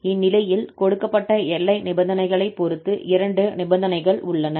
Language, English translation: Tamil, In this case, there are two possibilities depending on the conditions, the boundary conditions given